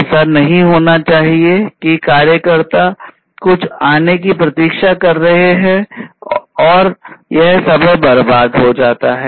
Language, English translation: Hindi, You know it should not happen that the workers are waiting for something to arrive and the time gets wasted right